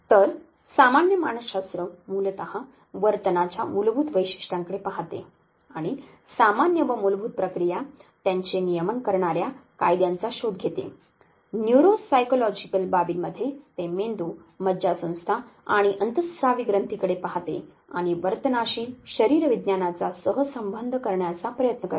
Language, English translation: Marathi, So, general psychology basically looks at the basic characteristics of behavior and it searches for the general and the basic process and the laws that govern them at the neuropsychological aspects which looks at the brain nervous system and endocrine glands and tries to correlate physiology with behavior were as comparative psychology which basically relates animal and human behavior